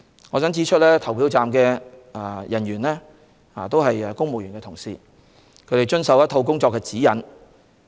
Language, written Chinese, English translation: Cantonese, 我想指出，投票站人員均是公務員同事，他們須遵守一套工作指引。, I would like to point out that all polling station staff are members of the Civil Service and they have to abide by a set of guidelines